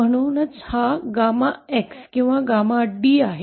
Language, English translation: Marathi, So this is the gamma X or D, gamma X or D